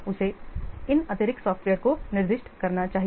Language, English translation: Hindi, He should specify these additional softwares